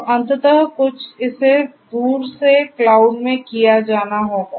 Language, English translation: Hindi, So, ultimately you know some of it will have to be done remotely at the cloud